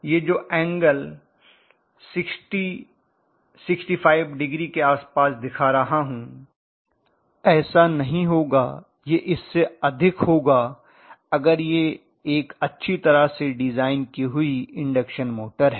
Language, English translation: Hindi, So even that angle I am showing around 65 degree it cannot be like that it will be more than that, normally if it is a well design induction motor